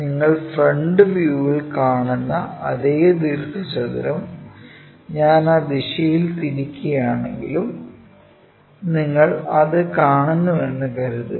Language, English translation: Malayalam, So, this is the rectangle let us assume that you are seeing this, even if I rotate it in that direction same rectangle at the front view you see